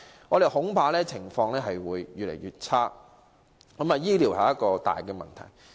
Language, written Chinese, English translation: Cantonese, 我們恐怕情況會越來越差，醫療是一大問題。, We are afraid that the situation may worsen . Healthcare is really a very serious issue